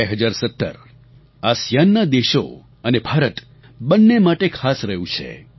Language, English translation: Gujarati, The year 2017 has been special for both ASEAN and India